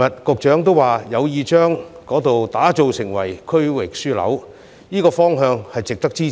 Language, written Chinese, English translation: Cantonese, 局長昨天也表示有意將該區打造成區域樞紐，這方向值得支持。, The Secretary also indicated yesterday that there was intention to develop the area into a regional hub and I consider this direction worth supporting